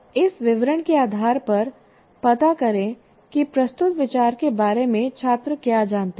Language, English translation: Hindi, Based on this description, find out what the students know about the idea presented